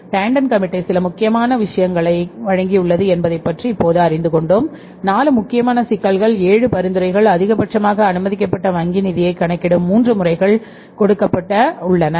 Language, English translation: Tamil, So, till now we have learned about that tender committee has given us certain important things, four important issues they raised, seven recommendations they gave and three methods of calculating the maximum permissible bank finance they gave long back in 70s